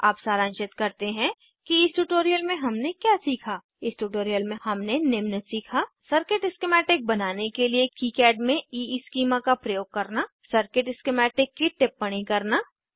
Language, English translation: Hindi, Let us summarize what we learnt in this tutorial In this tutorial we learnt, To use EESchema in KiCad for creating circuit schematic Annotation of circuit schematic